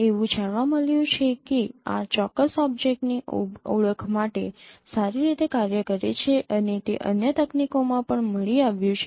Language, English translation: Gujarati, It has been found that this works well for certain object recognition and it has been found also in other techniques